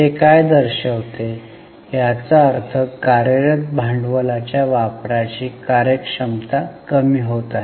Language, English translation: Marathi, It means the efficiency of use of working capital has been falling